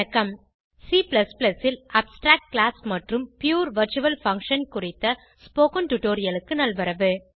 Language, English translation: Tamil, Welcome to the spoken tutorial on abstract class and pure virtual function in C++